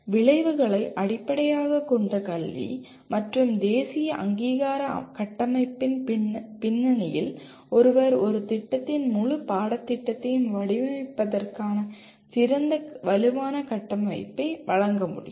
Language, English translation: Tamil, One can, in the context of outcome based education as well as the national accreditation framework they provide an excellent robust framework for designing the entire curriculum of a program